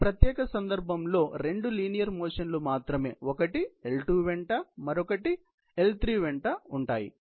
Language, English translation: Telugu, The only two linear motions in this particular case; one is linear along L2; another is a liner motion along L3